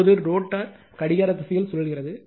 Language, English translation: Tamil, Now, rotor rotates in the clockwise direction